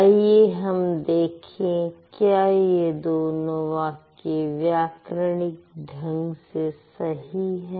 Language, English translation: Hindi, Let's see whether this sentence would be grammatically correct or not